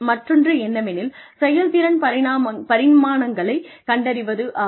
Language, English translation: Tamil, The other is identification of performance dimensions